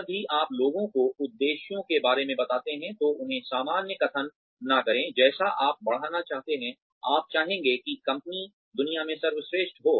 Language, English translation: Hindi, Whenever, you tell people, about the objectives, do not give them general statements like, you would like to grow, you would like the company to be the best in the world